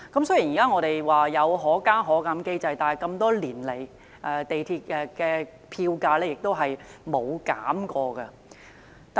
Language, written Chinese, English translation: Cantonese, 雖然我們現在有"可加可減"機制，但多年來，港鐵票價一直沒有減過。, Though we now have the Fare Adjustment Mechanism which allows the fares to go upward and downward there has never been any reduction in the MTR fares over the years